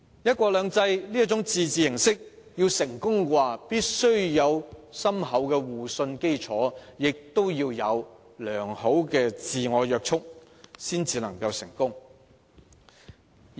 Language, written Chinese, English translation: Cantonese, "一國兩制"這種自治形式要獲得成功，必須有深厚的互信基礎，以及良好的自我約束。, If one country two systems a form of autonomy is to succeed it must be underpinned by profound mutual trust and sound self - restraint